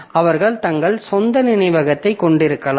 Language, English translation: Tamil, So then we have got, they may have their own memory